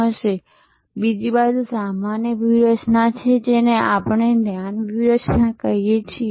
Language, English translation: Gujarati, Now, there is another generic strategy which we call the focus strategy